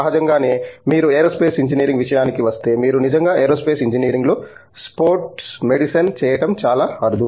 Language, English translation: Telugu, Obviously, when you come to Aerospace Engineering it is very unlikely that you will be actually doing sports medicine in Aerospace Engineering, although it is related okay